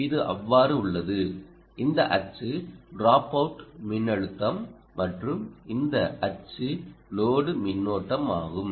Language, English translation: Tamil, this is access is dropout voltage and this axis is the load current